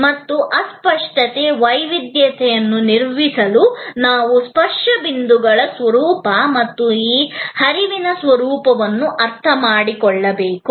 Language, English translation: Kannada, And to manage the intangibility, the heterogeneity, we have to understand the nature of the touch points as well as the nature of this flow